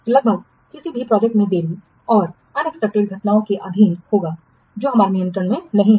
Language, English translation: Hindi, So almost any project it will be subject to delays and unexpected events that is not under our control